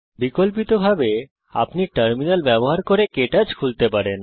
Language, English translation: Bengali, Alternately, you can open KTouch using the Terminal